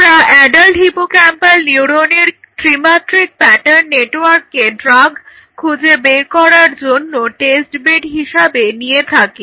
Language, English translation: Bengali, So, this is what we are targeting 3D pattern network of adult hippocampal neurons as a testbed for screening drugs potential drug candidate against Alzheimer’s disease